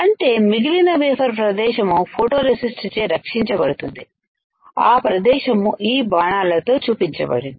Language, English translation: Telugu, So, rest of the area of the wafer is protected by photoresist, the area which is shown by these arrows